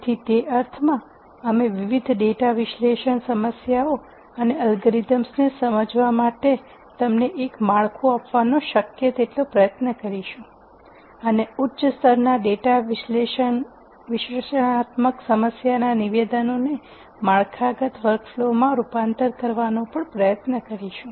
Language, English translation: Gujarati, So, in that sense, you try to give you a framework to understand different data analysis problems and algorithms and we will also as much as possible try and provide a structured approach to convert high level data analytic problem statements into what we call as well defined workflow for solutions